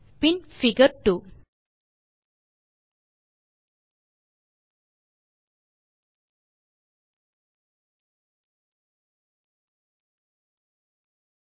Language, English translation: Tamil, Then figure 2